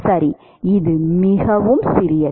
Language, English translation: Tamil, Right it is very small